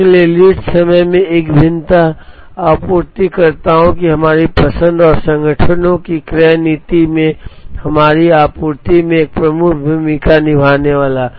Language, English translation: Hindi, So, a variation in lead time is going to play a major part in our supplying in our choice of suppliers and in the purchasing policy of the organizations